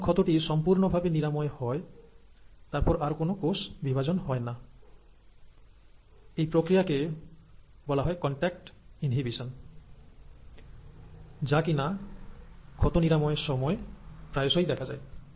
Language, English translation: Bengali, So once the wound has been completely closed, there will not be any further cell division, and this is called as ‘contact inhibition’, which is very often seen in wound healing